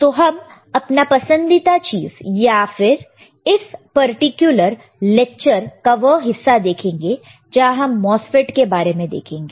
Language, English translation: Hindi, What we have seen we will also see your favourite and part of this particular lecture and the part of this particular course is the MOSFET, right